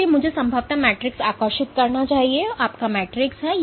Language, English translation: Hindi, So, I should probably draw the matrix this is your matrix